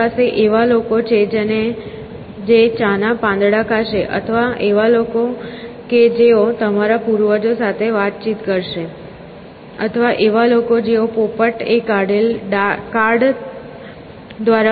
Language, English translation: Gujarati, You have people who will eat tea leaves, or people who communicate with your ancestors, or people who go and get their fortunes foretold by a parrot who pulls a card out of a bunch of cards